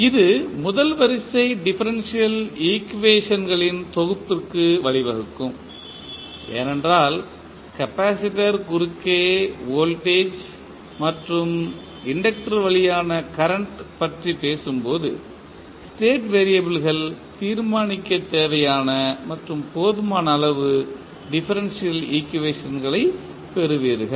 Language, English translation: Tamil, This should lead to a set of first order differential equation because when you talk about the voltage and current voltage across capacitor and current at through inductor you will get the differential equations which is necessary and sufficient to determine the state variables